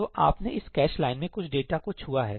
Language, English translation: Hindi, So, you have touched some data in this cache line